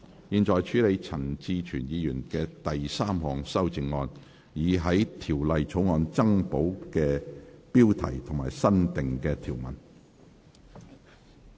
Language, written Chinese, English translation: Cantonese, 現在處理陳志全議員的第三項修正案，以在條例草案增補新部標題及新訂條文。, The committee now deals with Mr CHAN Chi - chuens third amendment to add the new Part heading and new clauses to the Bill